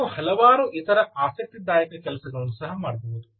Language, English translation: Kannada, you can do several other interesting things as well, ah